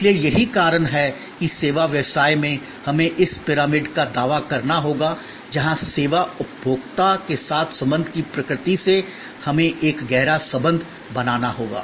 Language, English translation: Hindi, So, that is why in service business, we have to claim this pyramid, where from transactional nature of relation with the service consumer, we have to create a deeper relationship